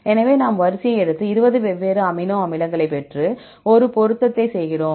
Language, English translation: Tamil, So, we take the sequence and get the 20 different amino acids and do a matching